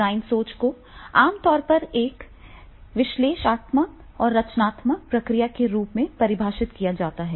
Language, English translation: Hindi, Design thinking is generally defined as an analytic and creative process